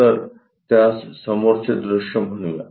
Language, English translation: Marathi, So, let us call that one front view